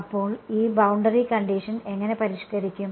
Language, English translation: Malayalam, So, how will this boundary condition get modified